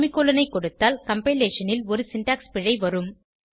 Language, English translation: Tamil, If we give the semicolon, there will be a syntax error on compilation